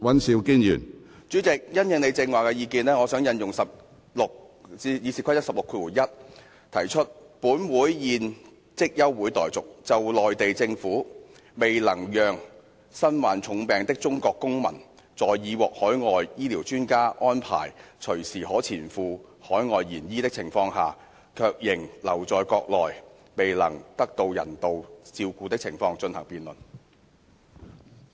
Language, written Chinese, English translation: Cantonese, 主席，因應你剛才的意見，我想引用《議事規則》第161條提出，本會現即休會待續，就內地政府未能讓身患重病的中國公民在已獲海外醫療專家安排隨時可前赴海外延醫的情況下，卻仍留在國內未能得到人道照顧的情況進行辯論。, President in response to your view just now I wish to propose under Rule 161 of the Rules of Procedure that this Council do now adjourn to debate the Mainland Governments failure to allow a seriously ill Chinese citizen to go abroad for medical treatment when foreign medical experts have already made arrangements for his receipt of medical treatment overseas at any time and the keeping of him in the country where he is denied humane care